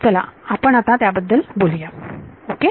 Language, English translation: Marathi, So, let us get into that ok